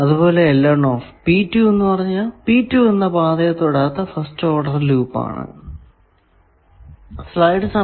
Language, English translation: Malayalam, L 1 P 2, first order loop not touching path P 2, etcetera